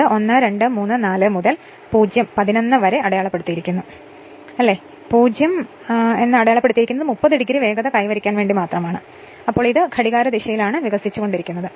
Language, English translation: Malayalam, So, it is evolving it is marked 1, 2, 3, 4 up to your 0, 11, and 0 it is marked just to make a 30 degree speed, but it is evolving in that your what you call here in that your what clockwise direction